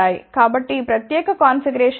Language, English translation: Telugu, So, what is this particular configuration